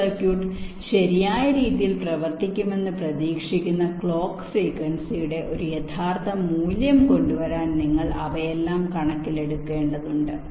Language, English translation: Malayalam, ok, you have to take all of them into account so as to come up with the realistic value of clock frequency which is expected to run this circuit in a correct way